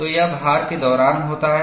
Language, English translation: Hindi, So, this happens during loading